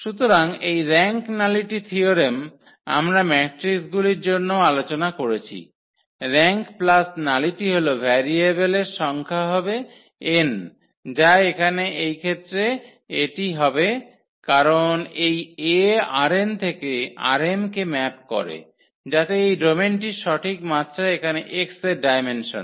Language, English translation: Bengali, So, this rank nullity theorem we have also discussed for matrices where rank plus nullity was the number of variables n which is here in this case that is because this A maps from R n to R m; so that exactly the dimension of this domain here the dimension of X